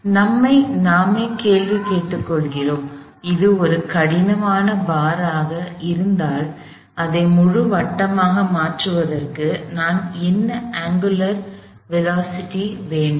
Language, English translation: Tamil, So, we ask ourselves the question, if this was a rigid bar, what angular velocity omega I do I need to make it do a full circle